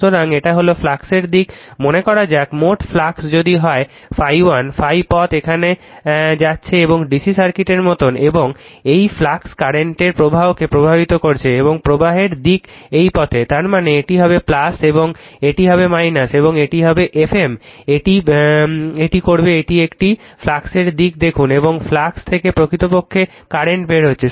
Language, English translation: Bengali, So, this is the direction of the flux right, say total flux if it is phi 1 right phi path is going here and path is going like your DC circuit and this is your flux is flowing right the current flows and the direction of the flux is this way; that means, this will be plus and this will be minus and that will be your F m this will do that is a you see the direction of the flux and from flux where your current actually coming out